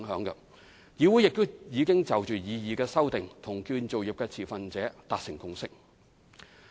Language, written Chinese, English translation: Cantonese, 此外，議會亦已就擬議修訂與建造業持份者達成共識。, CIC has also reached consensus with industry stakeholders on the proposed amendment